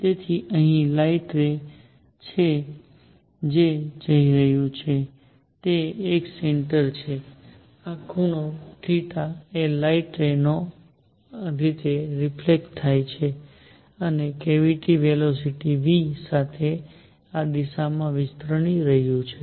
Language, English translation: Gujarati, So, there is the light ray which is going this is a centre, this angle is theta, the light ray gets reflected like this and the cavity is expanding in this direction with velocity v